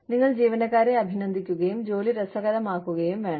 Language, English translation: Malayalam, You need to show, appreciation to your employees, and make work, fun